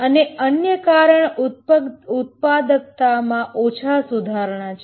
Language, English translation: Gujarati, And also the other reason is low productivity improvements